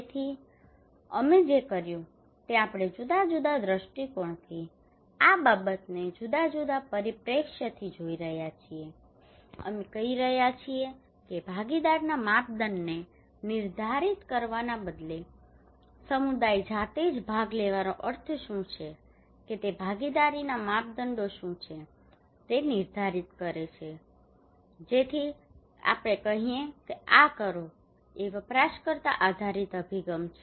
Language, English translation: Gujarati, So what we did we are looking this thing from a different angle from a different perspective we are saying that instead of we define the criteria of participation is possible that community themselves will define what is the meaning of participations what are the criterias of participations so we call this is user based approach